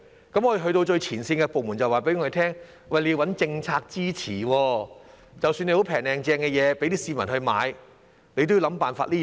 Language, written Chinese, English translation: Cantonese, 當我們去到最前線的部門，我們便獲告知要先找政策支持，即使我們有"平靚正"的貨品供市民購買，我們也要想辦法做到。, When we went to the frontline departments we were told to get policy support first . Even if we have got some quality bargains for the public to purchase we still need to find a way to do that first